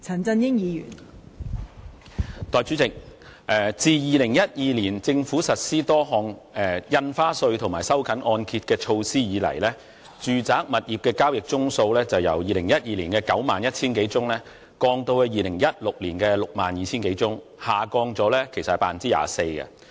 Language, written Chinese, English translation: Cantonese, 代理主席，自2012年政府開徵多項印花稅及實施收緊按揭的措施後，住宅物業的交易宗數由2012年的91000多宗，下降至2016年的62000多宗，跌幅為 24%。, Deputy President after the Governments introduction of various stamp duties and measures to tighten mortgage loans since 2012 the number of residential property transactions fell from over 91 000 in 2012 to some 62 000 in 2016 representing a decrease of 24 %